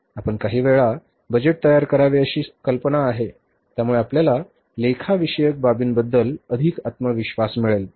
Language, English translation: Marathi, The idea is to have you prepare the budget a few times so that you gain more confidence about accounting matters